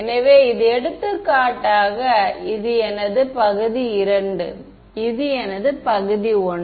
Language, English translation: Tamil, So, this is for example, this is my region II this is my region I